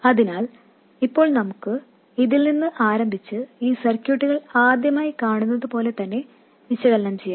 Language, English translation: Malayalam, So, let's now start from this and analyze this circuit as though we are seeing it for the first time